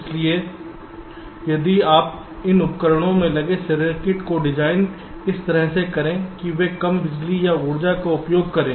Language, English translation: Hindi, so if you can design the circuits that get embedded into these devices in a way that they consume less power or energy, whatever you call